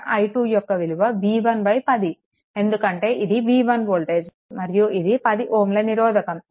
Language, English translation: Telugu, So, i 2 is equal to your v 1 by 10 because this is v 1 voltage and this is 10 ohm resistance